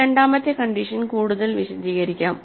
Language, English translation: Malayalam, This second condition can be further characterized